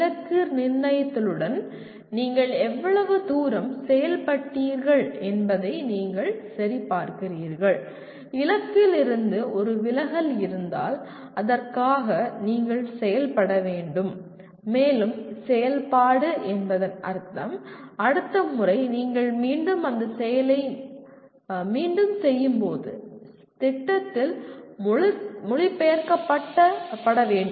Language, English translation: Tamil, You check how far you have performed with respect to the target set and if there is a deviation from the target then you have to act for that and acting would mean again it has to get translated into plan next time you do the again repeat that activity